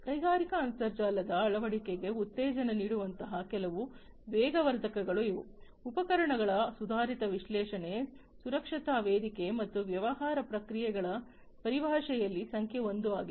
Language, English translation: Kannada, These are some of these catalysts which will work to promote the adoption of industrial internet, innovations in terms of equipment advanced analytics safety platform and business processes is number 1